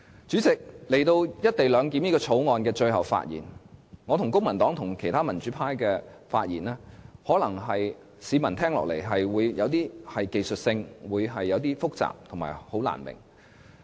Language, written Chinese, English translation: Cantonese, 主席，來到《條例草案》的最後發言時間，我和公民黨，以及其他民主派議員的發言，市民聽起來可能覺得有點流於技術性、複雜和難以明白。, President this is the last chance we can speak on the Bill . To the ordinary public my speeches as well the speeches of other Civil Party Members and other democratic Members may sound a bit too technical complicated and incomprehensible